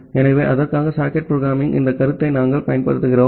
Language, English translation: Tamil, So, for that we use this concept of socket programming